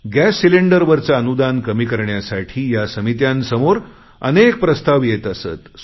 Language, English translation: Marathi, On the other hand, economists have put constant pressure to reduce the subsidy on gas cylinders